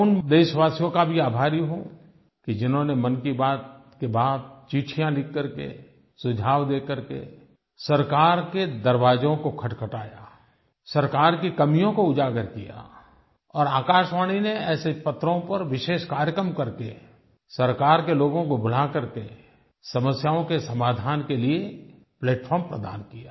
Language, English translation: Hindi, I am also thankful to those countrymen who knocked on the doors of the government by writing letters and by sending in suggestions and highlighting shortcomings of the government and All India Radio mounted special programmes on these letters by inviting concerned government functionaries and thus provided a platform to address the problems